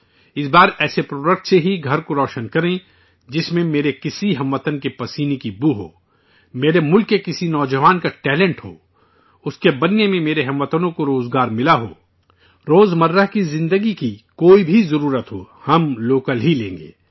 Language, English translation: Urdu, This time, let us illuminate homes only with a product which radiates the fragrance of the sweat of one of my countrymen, the talent of a youth of my country… which has provided employment to my countrymen in its making